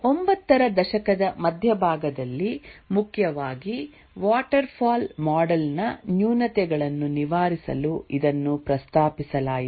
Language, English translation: Kannada, It was proposed in mid 90s mainly to overcome the shortcomings of the waterfall model